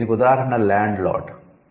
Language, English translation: Telugu, The example is landlord